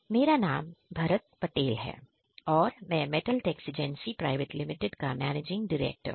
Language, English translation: Hindi, My name is Bharath Patel; managing director from Metal Texigency Private Limited